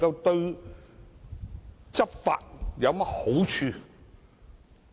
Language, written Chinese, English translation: Cantonese, 對執法有何好處呢？, How can so doing facilitate law enforcement?